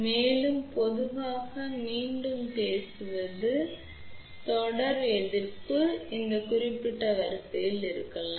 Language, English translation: Tamil, And, generally speaking again series resistance may be of this particular order